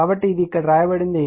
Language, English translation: Telugu, So, that is what is written in right